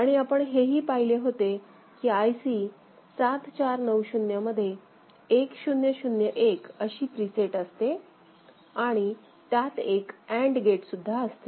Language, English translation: Marathi, And in IC 7490, we had seen that there can be a preset of 1001 as well; again there is an internal AND gate